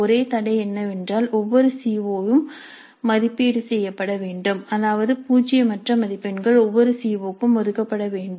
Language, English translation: Tamil, The only constraint is that every CO must be assessed which means that non zero marks must be allocated to every CO